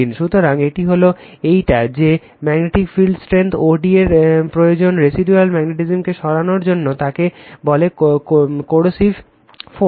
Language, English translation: Bengali, And one thing is there magnetic field strength that is o d required to remove the residual magnetism is called coercive force right